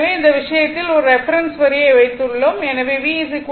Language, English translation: Tamil, So, in that case suppose if I take a reference reference line this is my reference line